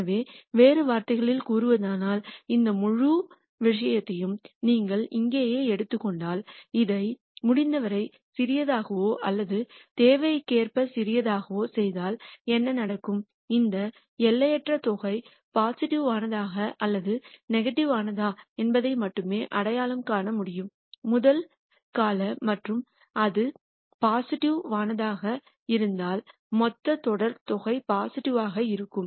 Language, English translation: Tamil, So, in other words if you take this whole thing right here if you keep making this as small as possible or as small as needed then what will happen is, the fact that whether this in nite sum is positive or negative can be identified only by the first term and if that is positive then the whole sum series sum is going to be positive and so on